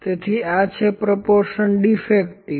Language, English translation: Gujarati, So, this is proportion defective